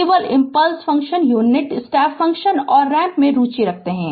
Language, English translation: Hindi, We are only interested in impulse function, unit step function and the ramp right